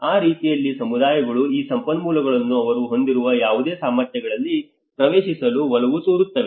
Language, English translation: Kannada, So in that way communities tend to access these resources in whatever the capacities they have